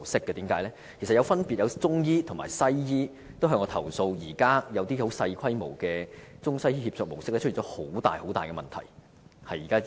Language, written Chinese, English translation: Cantonese, 其實曾分別有中醫和西醫向我投訴，指現時一些正在運作的小規模中西醫協作模式出現了很大的問題。, Actually I have received complaints from both Chinese and Western medicine practitioners and they allege that certain small - scale ICWM projects currently operating have encountered serious problems . I thus want to ask a further question